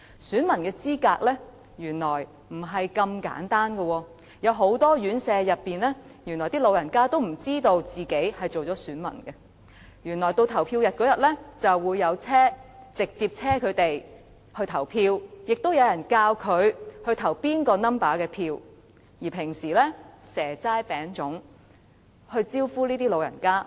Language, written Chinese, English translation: Cantonese, 選民的資格並非那麼簡單的，原來很多院舍的長者並不知道自己已登記成為選民，到了投票日，就會有車輛接送他們去投票，並會有人教他們應該投票給哪個數字的候選人。, The qualifications of electors are not as simple as we think . Many occupants in residential homes for the elderly do not know that they have registered as electors . On the polling day they will be shipped by coaches to polling stations cast their votes and they will be taught to vote for the candidate under a certain number